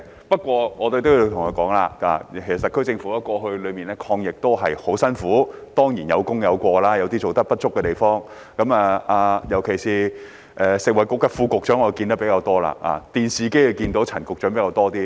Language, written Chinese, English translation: Cantonese, 不過，我也要說說，其實特區政府在過去的抗疫工作上也十分辛苦，當然有功有過，有做得不足的地方，尤其是食物及衞生局副局長，我比較常見到他，而陳局長則在電視機裏看到比較多。, However I must also say that the SAR Government had actually worked very hard in the fight against the epidemic in the past . Of course there are achievements and faults and there are inadequacies in its work particularly the Under Secretary for Food and Health for I see him more often . As for Secretary Prof Sophia CHAN I see her more on television